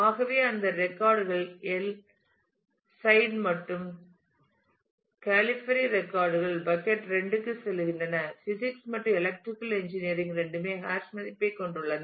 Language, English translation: Tamil, So, those records El Said and Califfieri records go to bucket 2 whereas, physics and electrical engineering both have hash value 3